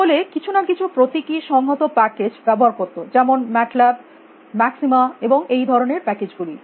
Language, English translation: Bengali, That everybody uses some symbolic integration passages you know mat lab, maxima and all these kind of packages